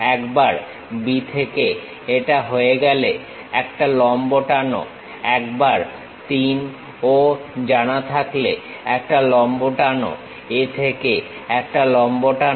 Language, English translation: Bengali, Once it is done from B, drop a perpendicular once 3 is also known drop a perpendicular, from A drop a perpendicular